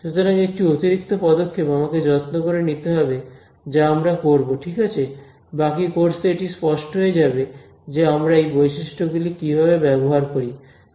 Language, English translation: Bengali, So, one extra step I have to take care of which we will do ok, it will become clear in the rest of the course how we use these properties ok